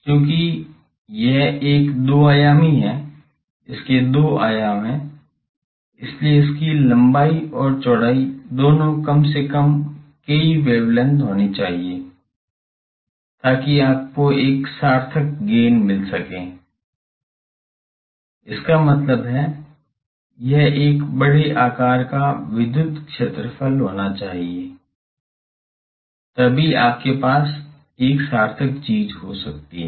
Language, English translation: Hindi, Since it is a two dimension also the it has two dimensions, so its length and width both should be a at least several wavelengths the, so that you can have a meaningful gain; that means, it should have a sizable electrical area the, then only you can have a meaningful thing